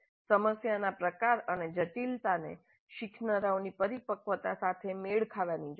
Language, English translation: Gujarati, Type and complexity of the problem needs to be matched with the maturity of the learners